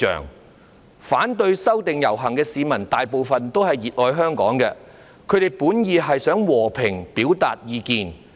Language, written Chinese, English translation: Cantonese, 參加遊行，反對修例的市民大部分也是熱愛香港的，他們本意是想和平表達意見。, Most of the people who joined the processions to oppose the legislative amendment also love Hong Kong passionately and their original intention was to express their views peacefully